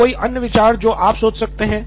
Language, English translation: Hindi, So any other ideas that you can think of